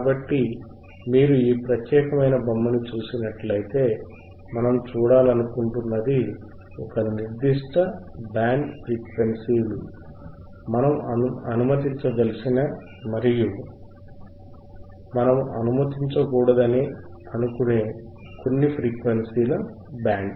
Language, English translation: Telugu, So, if you see this particular figure, what we see is there is a certain band of frequencies that we want to allow and, certain band of frequencies that we do not want to allow